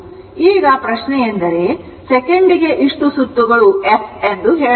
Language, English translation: Kannada, So, now question is that your this number of cycles per second that is f